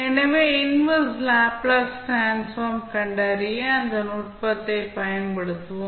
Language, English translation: Tamil, So, here we will apply those technique to find out the inverse Laplace transform